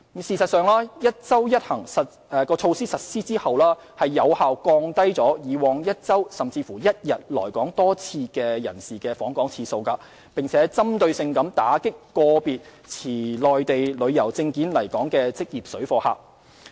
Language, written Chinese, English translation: Cantonese, 事實上，"一周一行"措施實施後，有效降低以往1周甚至1天來港多次人士的訪港次數，並針對性打擊個別持內地旅遊證件來港的職業水貨客。, In fact the implementation of the one trip per week initiative has effectively reduced the number of trips made to Hong Kong by people who used to come to Hong Kong multiple times within one week or even one day and at the same time specifically clamped down on professional parallel traders using travel documents issued by the Mainland to come to Hong Kong